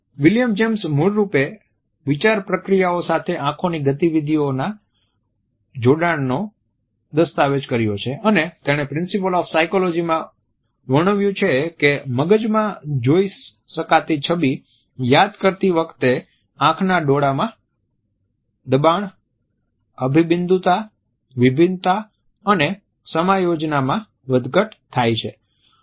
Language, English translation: Gujarati, William James had originally documented the association of eye movements with the thought processes and he had described in principles of psychology that merely thinking about a visual image caused if fluctuating play of pressures, convergences, divergences and accommodations in eyeballs